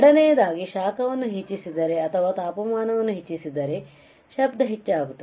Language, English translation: Kannada, Second is if we increase the heat more or increase the temperature, the noise will increase